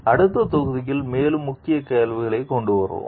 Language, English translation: Tamil, We will come up with more key questions in the next module